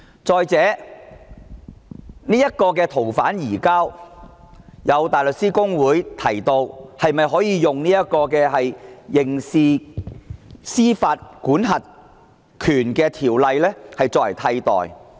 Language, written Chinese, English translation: Cantonese, 再者，關於建議的移交逃犯安排，香港大律師公會提出以修訂《刑事司法管轄權條例》替代。, Furthermore in relation to the proposed arrangement for surrendering fugitive offenders the Hong Kong Bar Association suggests to replace it with amendment to the Criminal Jurisdiction Ordinance